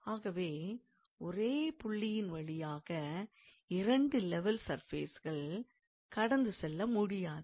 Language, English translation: Tamil, So, there cannot be two level surfaces that will pass through the same point